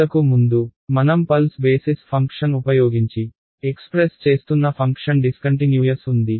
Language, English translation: Telugu, Earlier my function that I was doing expressing using pulse basis function was discontinuous